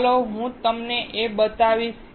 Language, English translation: Gujarati, Let me show it to you here